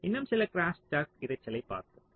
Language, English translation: Tamil, ok, so lets look at some more crosstalk